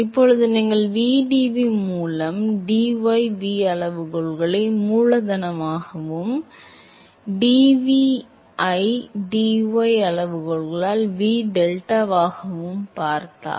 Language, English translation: Tamil, Now, if you look at vdv by dy v scales as capital V and dv by dy scales as V by delta